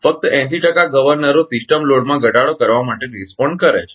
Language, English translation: Gujarati, Only 80 percent of the governors respond to the reduction in system load right